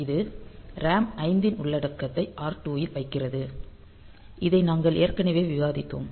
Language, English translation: Tamil, So, it content puts the content of RAM 5 in R2; so, this we have already discussed